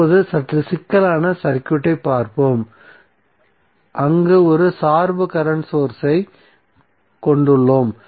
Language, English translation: Tamil, Now, let see slightly complex circuit where we have one dependent current source